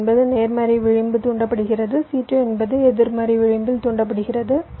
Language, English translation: Tamil, c one is a positive edge triggered, c two is a negative edge triggered